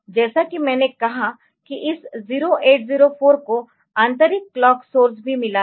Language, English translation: Hindi, As I said that this 0804 has got internal clock source as well